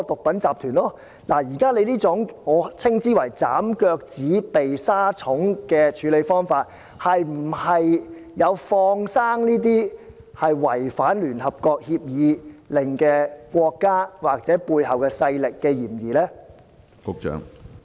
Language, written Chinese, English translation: Cantonese, 現在當局這種"斬腳趾避沙蟲"的處理方法是否有"放生"這些違反聯合國制裁令的國家或背後勢力之嫌呢？, Their present approach is the same as chopping off their toes to avoid insect bites . Are they trying to set free these countries which have violated UN sanctions or the power behind them?